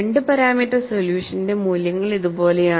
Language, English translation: Malayalam, Here you have 2 parameter solution